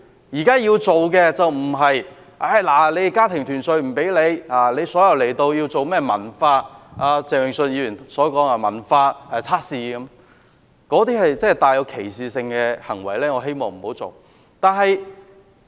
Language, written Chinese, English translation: Cantonese, 現在要做的，並不是禁止家庭團聚，也不是要進行鄭泳舜議員說的甚麼文化測試，那些是帶有歧視性的行為。, What we should do now is not to stop applications for family reunion nor conduct the so - called culture test mentioned by Mr Vincent CHENG . These are all discriminatory acts